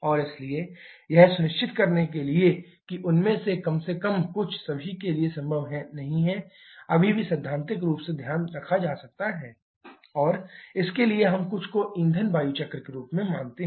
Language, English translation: Hindi, And therefore, to add if not possible for with all at least some of them can still be taken care of theoretically and for that we consider something as the fuel air cycle